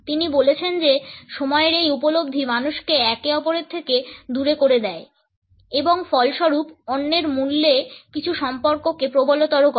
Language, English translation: Bengali, He says that this perception of time seals people from one another and as a result intensifies some relationships at the cost of others